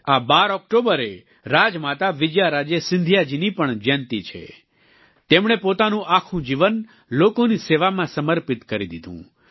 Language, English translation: Gujarati, This 12th of October is the birth anniversary of Rajmata Vijaya Raje Scindia ji too She had dedicated her entire life in the service of the people